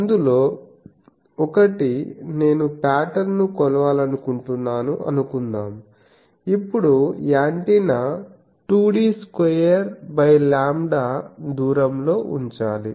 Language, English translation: Telugu, One of that is suppose I want to measure the pattern, now the distance of the antenna needs to be put at 2 D square by lambda